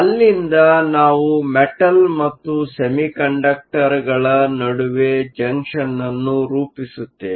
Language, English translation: Kannada, So, there we will have Metal Semiconductor Junctions